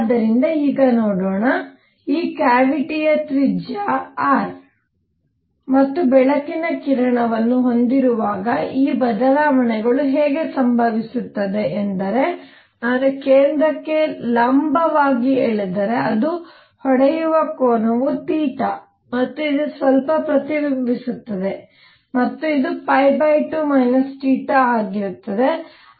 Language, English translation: Kannada, So, let us see now; how these changes occur when this cavity has radius r and light ray is going such that from the centre, if I draw a perpendicular to this the angle where it hits is theta and this slightly reflects again and this is going to be pi by 2 minus theta and so this angle, let me make it here again cleanly